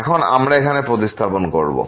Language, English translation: Bengali, Now we will substitute here